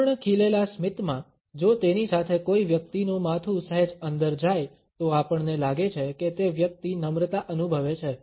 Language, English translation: Gujarati, In a full blown smile, if it is accompanied by a person’s head going slightly in we find that the person is feeling rather humble